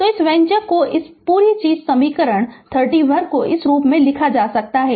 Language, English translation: Hindi, So, this this expression this whole thing equation 31 can be written in this form right